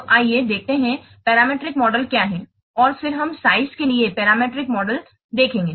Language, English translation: Hindi, So let's see what is a parameter model and then we'll see the parameter model for size